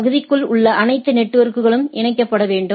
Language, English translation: Tamil, All network inside the area must be connected right